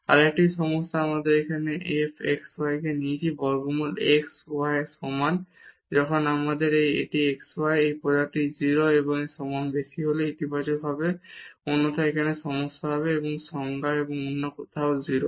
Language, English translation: Bengali, Another problem here we take this f xy is equal to square root x y when we have this xy, this product positive greater than equal to 0 otherwise there will be problem here and the definition and 0 elsewhere